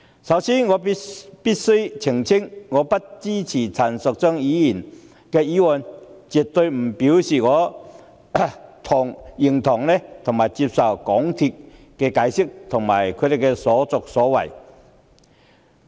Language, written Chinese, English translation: Cantonese, 首先，我必須澄清，我不支持陳淑莊議員的議案，絕非表示我認同及接受香港鐵路有限公司的解釋及其所作所為。, First of all I have to clarity that my opposition to Ms Tanya CHANs motion definitely does not mean that I approve of and accept the explanations and conduct of the MTR Corporation Limited MTRCL